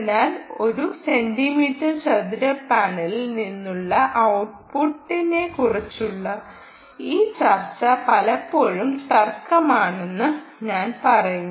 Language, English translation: Malayalam, so i would say this discussion on what is the power output from a one centimeter square ah panel is often going to be dispute